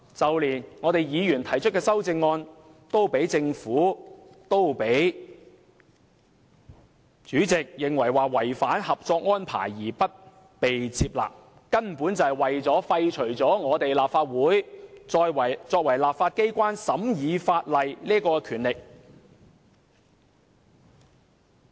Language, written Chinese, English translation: Cantonese, 就連議員提出的修正案都被政府、主席認為是違反《合作安排》，因而不被接納，那根本就是為了廢除立法會作為立法機關審議法例的權力。, And the Government and the Chairman even went so far as to reject Members amendments on the grounds of contravening the Co - operation Arrangement . All this is simply intended to strip the Legislative Council of its power to scrutinize legislation as the law - making body